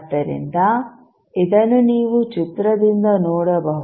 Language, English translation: Kannada, So, this you can see from the figure